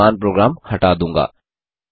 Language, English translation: Hindi, I will clear the current program